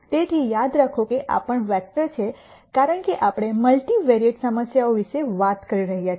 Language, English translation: Gujarati, So, remember this is also vector because we are talking about multivariate problems